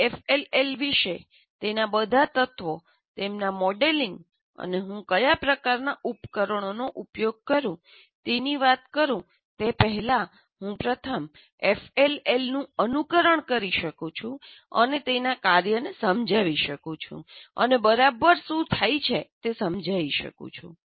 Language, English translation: Gujarati, That is, before I talk about FLL, in terms of all its elements, their modeling, and what kind of devices that I use, even before that, I can first simulate an FLL and explain its function what exactly happens